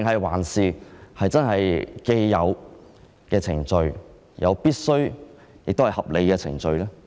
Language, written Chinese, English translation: Cantonese, 還是符合既有程序，亦是必須和合理的程序？, Is this in line with the established procedures? . Is this procedure essential and reasonable?